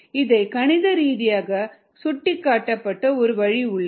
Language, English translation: Tamil, ok, there is a way of mathematically representing this